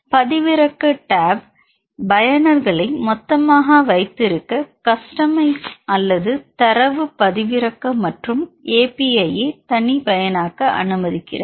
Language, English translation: Tamil, The download tab allow users to have bulk or customize data download and API services